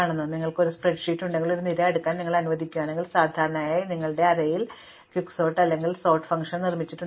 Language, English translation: Malayalam, So, if you have a spread sheet and allows you to sort a column, then usually this algorithm running in your background to sort that column is Quicksort or if you have built in sort function